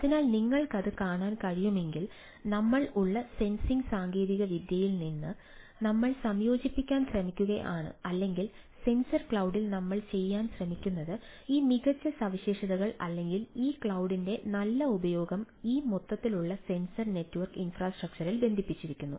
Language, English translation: Malayalam, so, if you can see that from the sensing technology we are in the we are trying to incorporate or what we trying to do in the sensor cloud, is putting that, that good properties or good use of this cloud in to this sensing overall sensor network infrastructure, so you can have a something overall overview of the things